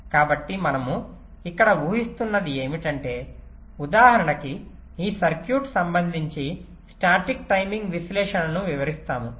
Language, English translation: Telugu, so what we are assuming here is that that, let say we will just illustrate the static timing analysis with respect to the example of this circuit